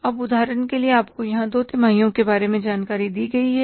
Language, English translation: Hindi, Now, for example, you are given here the information about two quarters